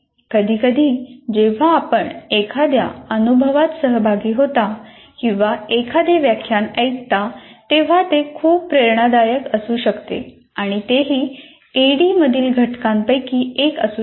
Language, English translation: Marathi, See, sometimes when you participate in one experience or listen to a lecture, it could be quite inspirational and that also can be one of the elements of ADI